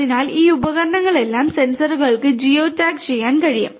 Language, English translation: Malayalam, So, all these devices, sensors can be geo tagged also ok